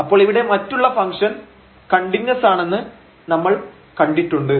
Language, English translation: Malayalam, So, we have seen the other function is continuous